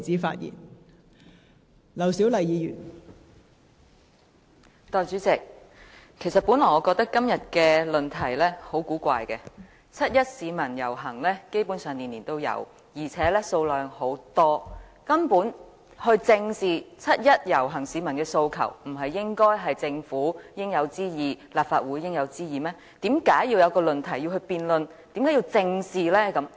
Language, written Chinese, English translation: Cantonese, 代理主席，我本來認為今天的議題很古怪，基本上市民每年均參與七一遊行，而且人數眾多，正視七一遊行市民的訴求，本就是政府和立法會應有之義，為甚麼要提出來辯論，而要加以正視？, Deputy President at one time I thought that the topic of todays motion was rather strange . Each year large numbers of people participate in the 1 July march . It is the Governments duty to face up to the aspirations of the people participating in the march